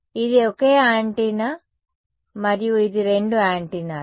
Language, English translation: Telugu, So, this was a single antenna and this is both antennas